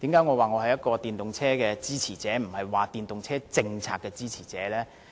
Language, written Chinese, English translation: Cantonese, 為何說我是電動車的支持者而不是電動車政策的支持者呢？, Why do I say that I am a supporter of EVs but not a supporter of the policy on EVs?